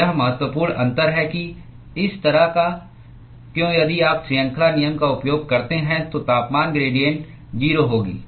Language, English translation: Hindi, So, if you use that property then even if you use chain rule that temperature gradient will be 0